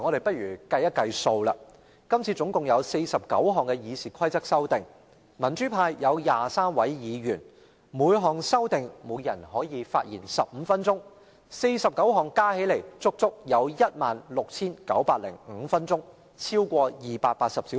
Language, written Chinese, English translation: Cantonese, 不妨計算一下，今次共有49項修改《議事規則》的建議，民主派有23位議員，若每人就每項修訂建議發言15分鐘 ，49 項加起來要花整整 16,905 分鐘，超過280小時。, This time there are 49 proposals on amending RoP . There are 23 Members in the pro - democracy camp . If each of them speaks on each amendment proposal for 15 minutes 49 items would take a total of 16 905 minutes or more than 280 hours